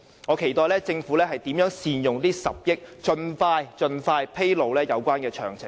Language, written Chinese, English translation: Cantonese, 我期待政府將如何善用這10億元，並盡快披露有關詳情。, I am eager to know how the Government is going to make good use of the 1 billion earmarked . The relevant details should be made public as soon as possible